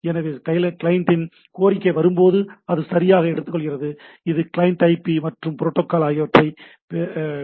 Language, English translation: Tamil, So, when the client’s request comes, it takes it right, it gets the client IP etcetera, and the protocol